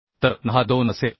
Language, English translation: Marathi, so n will be 2